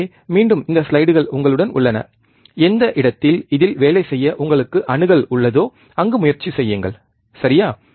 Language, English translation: Tamil, So, again this slides are with you you try to do at wherever place you have the access to work on this, right